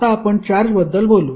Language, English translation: Marathi, Now, let us talk about the charge